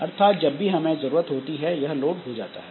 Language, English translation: Hindi, So, whenever you need to load it, so then it will be loaded